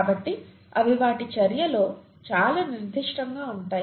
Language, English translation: Telugu, So they are very specific in their action